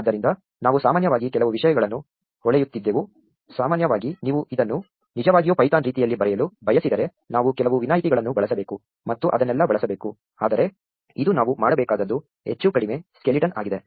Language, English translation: Kannada, So, we have glossed over little few things for instance typically where if you want to really write this properly in python way we have to use some exceptions and all that, but this is more or less the skeleton of what we need to do